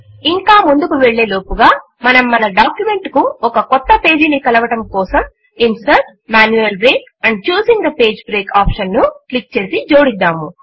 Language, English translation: Telugu, Before proceeding further, let us add a new page to our document by clicking Insert gtgt Manual Break and choosing the Page break option